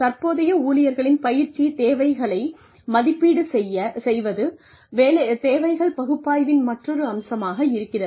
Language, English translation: Tamil, Assessing, current employees training needs, is another aspect of needs analysis